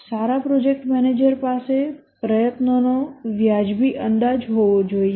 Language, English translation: Gujarati, A good project manager should have reasonable estimate of the effort